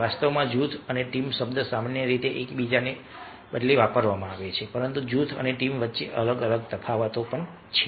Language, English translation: Gujarati, in fact, the word group and team are generally used interchangeably but there are distinct differences between group and team